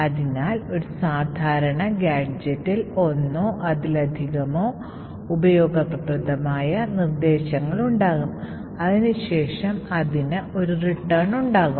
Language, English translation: Malayalam, So, a typical gadget would look something like this, it would have one or more useful instructions and then it would have a return